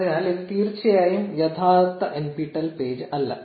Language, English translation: Malayalam, So, this is definitely not the real nptel page